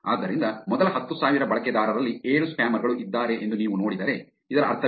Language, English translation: Kannada, So, if you see within the first 10,000 users there are actually 7 spammers, what does this mean